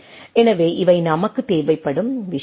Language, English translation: Tamil, So, these are the things which we require